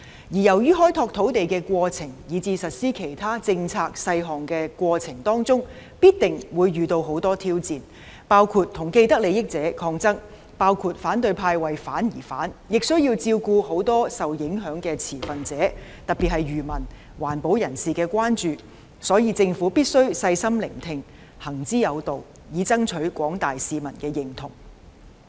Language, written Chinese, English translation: Cantonese, 由於開拓土地以至實施其他政策細項的過程中必定會遇到很多挑戰，包括與既得利益者抗爭、反對派"為反而反"，亦需要照顧很多受影響的持份者，特別是漁民、環保人士的關注，所以，政府必須細心聆聽，行之有道，以爭取廣大市民的認同。, Land development and the implementation of other policy details will meet with many challenges in the process such as conflicts with people with vested interests and opposition by the opposition camp for the sake of opposition . It will also need to cater to the concerns of many stakeholders affected especially fishermen and environmentalists . Therefore the Government must listen carefully and act with good reasons to win the approval of the general public